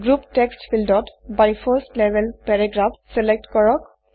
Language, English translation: Assamese, In the Group text field, select By 1st level paragraphs